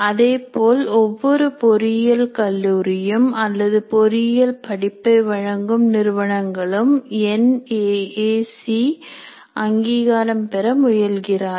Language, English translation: Tamil, Accreditation and also every engineering college or every institute offering engineering programs goes for NAC accreditation